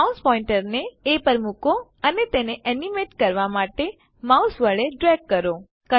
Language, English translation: Gujarati, I will choose A Place the mouse pointer on A and drag it with the mouse to animate